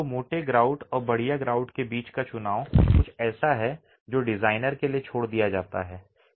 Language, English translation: Hindi, So the choice between a coarse grout and a fine grout is something that is left to the designer